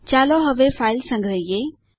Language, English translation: Gujarati, Let us save the file now